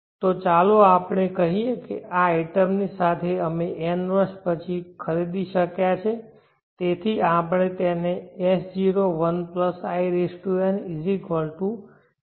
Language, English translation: Gujarati, So let us say that we are able to purchase after n years with this money this item